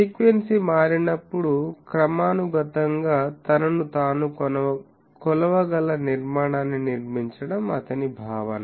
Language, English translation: Telugu, His concept was that build a structure that can scales itself up periodically, as the frequency gets changed